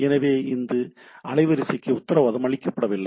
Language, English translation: Tamil, So, it is not guaranteed bandwidth